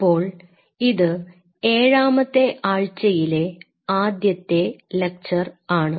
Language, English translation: Malayalam, So, this is your week 7 lecture 1